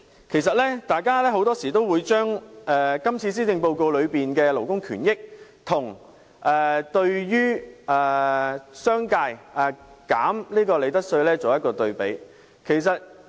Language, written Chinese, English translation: Cantonese, 其實，大家很多時也會把今次施政報告中的勞工權益與降低商界利得稅率的措施作對比。, People often compare the measures on labour rights and on lowering the profits tax rate in the Policy Address